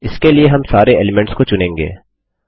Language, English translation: Hindi, For this, we will select all the elements